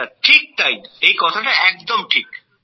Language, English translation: Bengali, Yes sir, that is correct sir